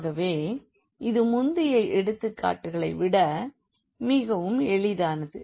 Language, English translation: Tamil, So, this is much simpler than the earlier examples